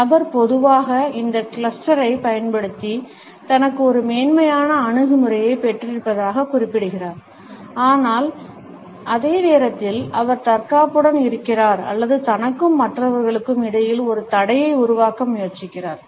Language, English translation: Tamil, The person normally uses this cluster to suggest that he has got a superiority attitude, but at the same time he is feeling defensive or he is trying to create a barrier between himself and others